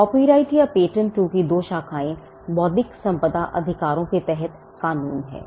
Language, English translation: Hindi, Copyright and patent are 2 branches of law under intellectual property rights